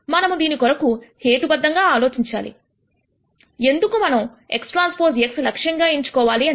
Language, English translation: Telugu, We have to think about a rationale for, why we would choose x transpose x as an objective